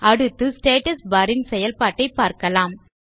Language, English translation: Tamil, Next, lets see what the Status bar does